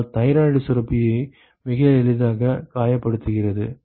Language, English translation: Tamil, And so, that hurts the thyroid gland very easy